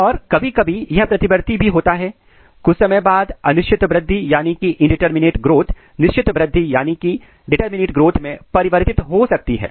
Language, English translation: Hindi, And sometime this is also reversible sometime indeterminate growth may converted into the determinate growth